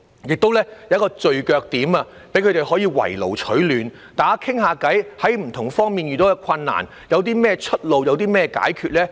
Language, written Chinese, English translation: Cantonese, 該等中心亦提供聚腳點，讓他們"圍爐取暖"，交流在不同方面遇到甚麼困難、有何出路、有甚麼解決方法。, These centres can serve as gathering points where carers can meet and seek support from one another . They can exchange views on the difficulties they have encountered and the available solutions